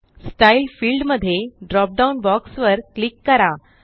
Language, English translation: Marathi, In the Style field, click the drop down box